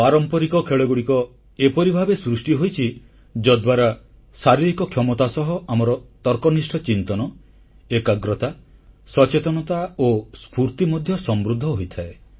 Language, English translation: Odia, Traditional sports and games are structured in such a manner that along with physical ability, they enhance our logical thinking, concentration, alertness and energy levels